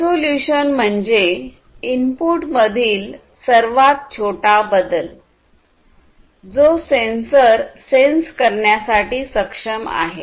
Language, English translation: Marathi, And resolution is about the smallest change in the input that a sensor is capable of sensing